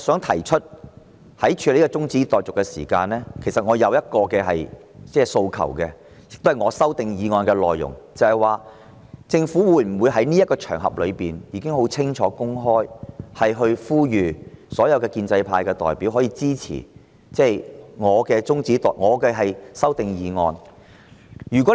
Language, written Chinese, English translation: Cantonese, 我想說清楚，在處理今天這項中止待續議案時，其實我有個訴求，這關乎我提出的修訂議案的內容，就是政府可否在這個場合，清楚公開地呼籲所有建制派代表支持我的修訂議案？, I wish to make a clear point that in dealing with the adjournment motion today I indeed have a request which concerns the content of the amending motion I propose ie . is it possible that the Government on this occasion today make a clear and open appeal to all representatives of the pro - establishment camp to support my amending motion?